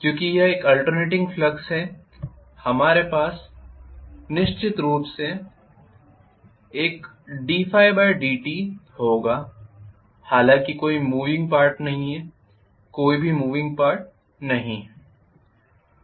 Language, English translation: Hindi, Because it is an alternating flux, we will have definitely a d phi by dt created all though there are no moving parts, there are no moving parts at all